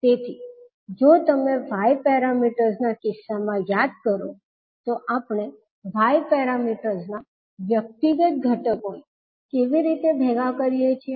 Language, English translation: Gujarati, So, if you recollect in case of Y parameters how we compile the individual elements of Y parameters